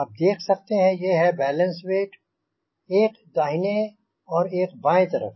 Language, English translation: Hindi, these are the balance weights, one on the right side, one on the left side